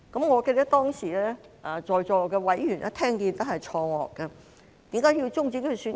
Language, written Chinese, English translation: Cantonese, 我記得當時在席委員聽到後也感到錯愕，為何要終止選舉？, I remember that at that time Members present were confounded upon hearing it . Why should the election be terminated?